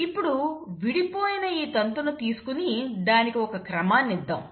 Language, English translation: Telugu, So let us take this separated strand and let us let us give it some sequence